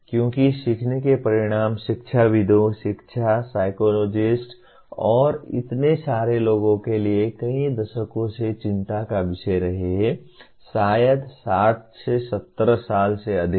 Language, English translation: Hindi, Because outcomes of learning has been the concern of educationists, education psychologists and so many people for several decades, maybe more than 60 70 years